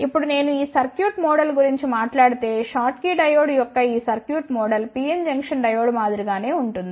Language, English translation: Telugu, Now, if I talk about this circuit model this the circuit model of the schottky diode is similar to the PN Junction diode